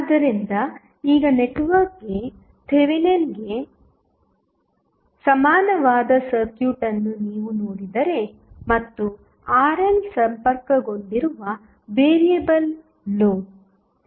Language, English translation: Kannada, So, now, if you see the circuit which is having the Thevenin equivalent of the network and then the variable load that is Rn connected